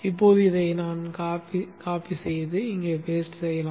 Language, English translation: Tamil, Now let us copy this and paste it here